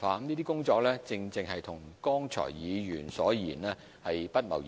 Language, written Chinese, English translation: Cantonese, 這些工作正正與議員所言不謀而合。, These measures precisely coincide with those suggested by Members